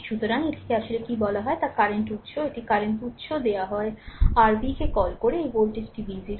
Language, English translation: Bengali, So, i i your what you call this i actually is the current source, a current source is given you find out your what you call v 0, this voltage is v 0